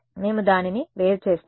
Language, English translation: Telugu, We will differentiate it